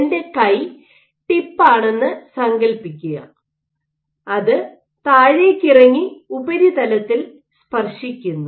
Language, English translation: Malayalam, Imagine my hand is the tip and it is coming down and touching the surface